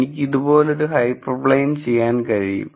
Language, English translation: Malayalam, I could do hyper plane like this and a hyper plane like this